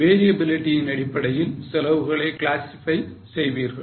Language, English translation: Tamil, You classify the cost based on variability